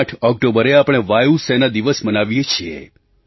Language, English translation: Gujarati, We celebrate Air Force Day on the 8th of October